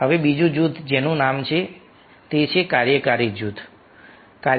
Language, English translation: Gujarati, now another group named that is called functional group